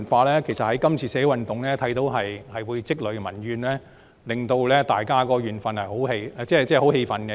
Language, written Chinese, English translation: Cantonese, 其實，從今次的社會運動看到，何以積累的民怨，會令大家感到十分氣憤。, In fact one can see from the social unrest this time around that why the people are enraged as a result of the accumulation of grievances